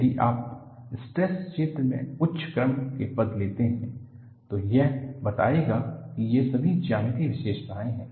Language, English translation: Hindi, If you take higher order terms in the stress field, which would explain, all these geometric features